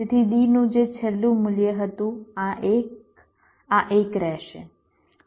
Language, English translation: Gujarati, so whatever was the last of d, this one, this one will remain